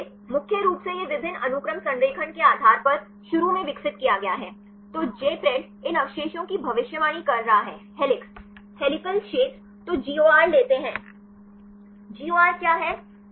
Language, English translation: Hindi, So, mainly it’s developed initially based on multiple sequence alignment; so, Jpred predicts these residues are helix; the helical regions then take the GOR; what is GOR